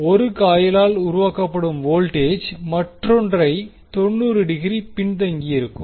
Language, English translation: Tamil, So, that the voltage generated by 1 lag coil lags the other by 90 degree